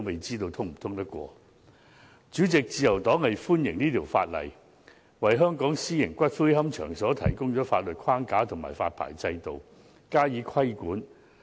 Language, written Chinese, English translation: Cantonese, 主席，自由黨歡迎《條例草案》，為香港私營龕場提供法律框架和發牌制度，加以規管。, President the Liberal Party welcomes the Bill which provides a legal framework and a licensing system to regulate private columbaria in Hong Kong